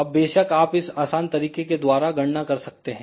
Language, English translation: Hindi, Now of course, you can do the calculation by using this simple expression